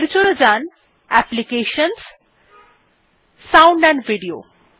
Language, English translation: Bengali, For that go to Applications gt Sound amp Video